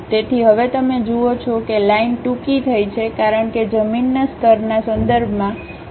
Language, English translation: Gujarati, So, now you see the line is shortened because the vertical height with respect to the ground level is 50 millimeters